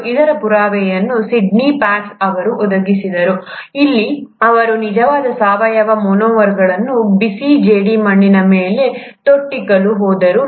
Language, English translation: Kannada, And the proof of this was then supplied by Sydney Fox where he went about dripping actual organic monomers onto a hot clay